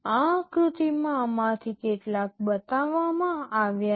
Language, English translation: Gujarati, In this diagram some of these are shown